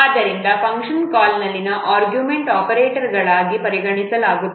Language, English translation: Kannada, So similarly, the arguments of the function call are considered as operands